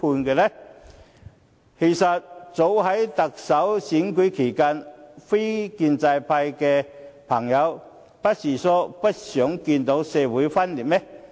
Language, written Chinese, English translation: Cantonese, 其實，早前在特首選舉期間，非建制派朋友不是說不想再看到社會撕裂嗎？, Actually during the Chief Executive election held earlier didnt those in the non - establishment camp say that they no longer wanted to see further social dissension?